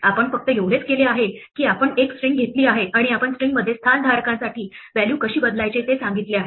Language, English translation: Marathi, All we have done is we have taken a string and we have told us how to replace values for place holders in the string